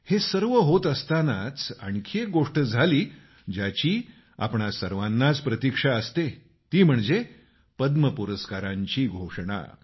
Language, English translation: Marathi, Amidst all of this, there was one more happening that is keenly awaited by all of us that is the announcement of the Padma Awards